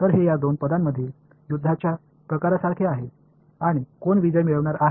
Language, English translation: Marathi, So, it is like a tug of war between these two terms and who is going to win right